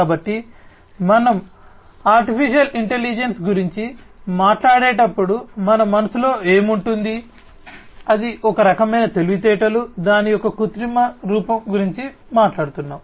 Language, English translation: Telugu, So, when we talk about artificial intelligence, what comes to our mind, it is some form of intelligence, we are talking about an artificial form of it